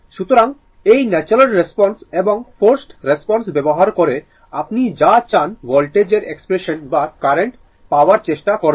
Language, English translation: Bengali, So, using this natural response and forced response, so we will try to obtain the your what you call expression of the your voltage or current whatever you want